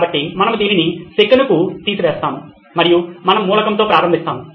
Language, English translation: Telugu, So, we will remove this for a second and okay, we will start with the element